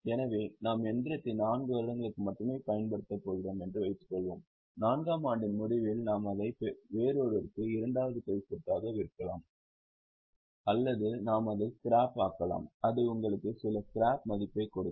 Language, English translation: Tamil, So, suppose we are going to use the machine only for four years, at the end of fourth year, we may sell it as a second hand asset to someone else or we may scrap it and it will give you some scrap value